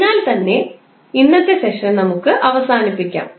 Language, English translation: Malayalam, So, with this we can conclude the today’s session